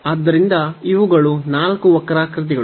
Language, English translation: Kannada, So, these are the 4 curves